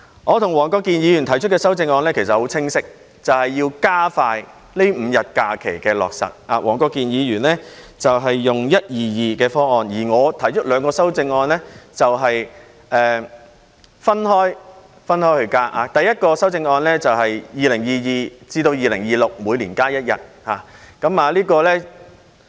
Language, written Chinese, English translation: Cantonese, 我及黃國健議員提出的修正案十分清晰，便是要加快落實增加5天假期，黃國健議員採取 "1-2-2" 方案，而我提出的兩項修正案是分開增加假期，第一項修正案是2022年至2026年每年增加一天。, The amendments proposed by Mr WONG Kwok - kin and me are very clear ie . advancing the pace in increasing five days of additional holidays . While Mr WONG Kwok - kin has adopted the 1 - 2 - 2 approach the two sets of amendments proposed by me are about adding the holidays in different ways